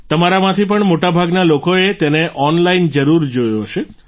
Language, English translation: Gujarati, Most of you must have certainly seen it online